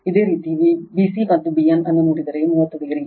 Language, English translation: Kannada, If you look bc and bn, 30 degree